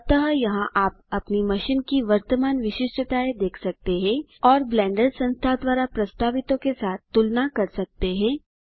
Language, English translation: Hindi, So here you can see the current specifications of your machine and compare it against what the Blender Foundation suggests